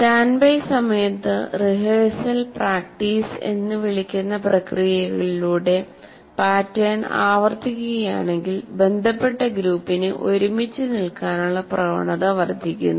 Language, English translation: Malayalam, And during the standby time, if the pattern is repeated, repeated, through processes we will presently see called rehearsal and practice, the tendency for the associated group to fire together is increased